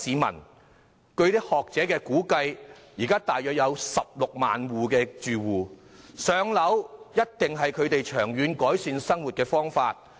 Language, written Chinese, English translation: Cantonese, 根據學者的估計，這類住戶現時約有16萬，"上樓"必定是他們長遠改善生活的途徑。, According to the estimate made by academics there are currently 160 000 or so such tenants . Getting PRH allocation must be a channel for them to improve their lot long term